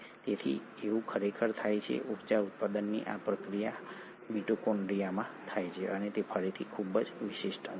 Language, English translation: Gujarati, So this actually happens, this process of energy generation happens in the mitochondria and it is again a very specialised organelle